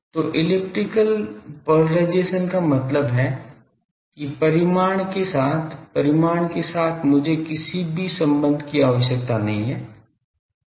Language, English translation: Hindi, So, elliptical polarisation means that magnitude wise; magnitude wise I do not require any relationship